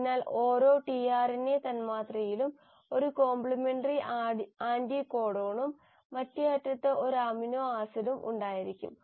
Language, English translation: Malayalam, So each tRNA molecule in itself will have a complimentary anticodon and at the other end will also have an amino acid attached to it